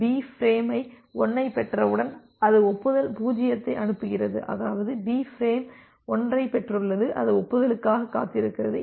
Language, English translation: Tamil, So, once you have B has receive frame 1, then it sends acknowledge 0; that means, B has received frame 1 and it is waiting for the acknowledgement 0